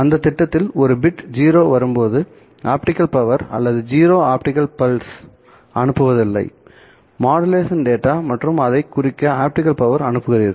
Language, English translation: Tamil, The simplest of that scheme would involve sending no optical power or zero optical pulse when a bit 0 arrives as the modulation data and you send some amount of optical power so in order to represent that there is a bit one